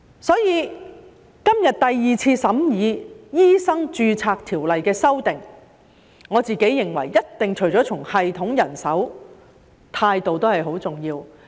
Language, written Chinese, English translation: Cantonese, 因此，今天第二次審議《醫生註冊條例》的修訂，我認為除了系統及人手外，態度亦一定很重要。, Today is the second time we have discussed the amendments to the Medical Registration Ordinance . In my view besides the system and manpower attitude definitely matters a lot